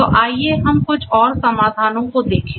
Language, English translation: Hindi, So, let us look at few more solutions